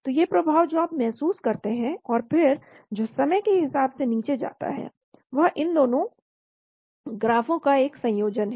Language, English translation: Hindi, So these effect which you feel and then which goes down as a function of time is a combination of both these graphs